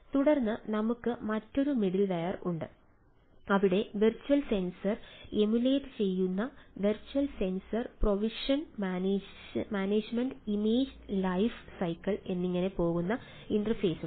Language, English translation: Malayalam, and then we have a other middleware where we say, as a virtual sensors emulating virtual sensor, provision management, image life cycle and so an so forth, and then at the top interfaces, so these are multiple layer